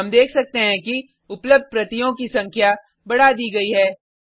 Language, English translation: Hindi, We can see that the number of available copies has been incremented